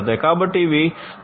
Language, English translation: Telugu, So, for Industry 4